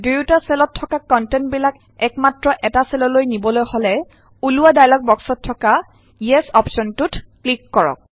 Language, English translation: Assamese, In order to move the contents of both the cells in a single cell, click on the Yes option in the dialog box which appears